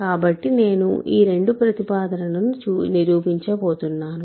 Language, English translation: Telugu, So, this I am I am going to prove these two statements